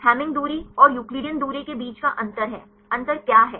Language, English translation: Hindi, The difference between Hamming distance and Euclidean distance is; what is the difference